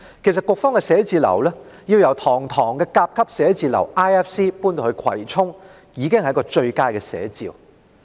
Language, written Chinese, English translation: Cantonese, 其實，積金局的辦公室由堂皇的 IFC 甲級寫字樓遷到葵涌，已是最佳的寫照。, In fact the relocation of MPFAs office from the magnificent Grade A office building at the International Financial Center to Kwai Chung is the best illustration